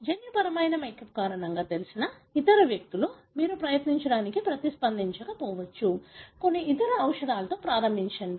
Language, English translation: Telugu, The other individuals, who know because of the genetic makeup, may not respond you try out, to begin with some other drug